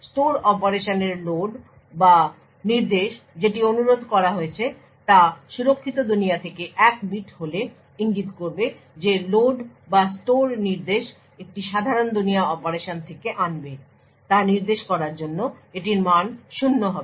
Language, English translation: Bengali, It would have a value of zero to indicate that the load of store operation or the instruction that is requested is from the secure world if it is 1 that bit would indicate that the load or store instruction fetch would be from a normal world operation